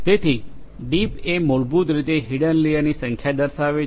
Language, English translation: Gujarati, So, deep basically refers to the number of hidden layers